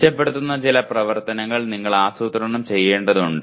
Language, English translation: Malayalam, You have to plan some activities that will improve